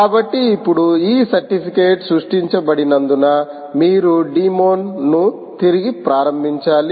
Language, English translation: Telugu, ok, so now that these certificates have been ah created, you will have to restart the demon